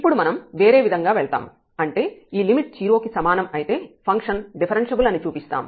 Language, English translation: Telugu, So now we will go the other way round; that means, if this limit is equal to 0 we will show that the function is differentiable